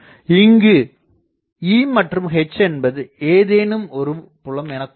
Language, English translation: Tamil, So, let me draw that E and H these fields if we take to be 0